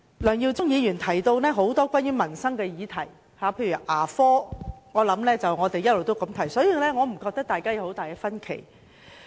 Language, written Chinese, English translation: Cantonese, 梁耀忠議員發言時提及多項民生議題，例如牙科，這也是我們一直關注的問題，所以我認為大家沒有很大分歧。, Mr LEUNG Yiu - chung talked about a number of livelihood issues in his speech such as dental care services which is also our constant concern . Hence I think our difference over this is not significant